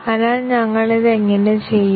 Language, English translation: Malayalam, So, how do we go about doing this